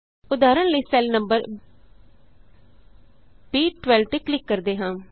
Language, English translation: Punjabi, For example lets click on cell number B12